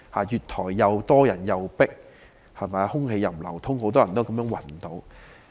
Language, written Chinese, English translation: Cantonese, 月台人多擠迫，空氣不流通，以致很多人暈倒。, Railway platforms were jammed with people and ventilation was so poor that many people fainted